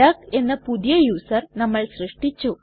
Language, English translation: Malayalam, We have created a new user called duck